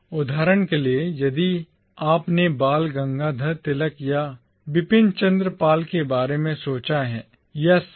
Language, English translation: Hindi, So, for instance, if you have thought of Bal Gangadhar Tilak or Bipin Chandra Pal, or C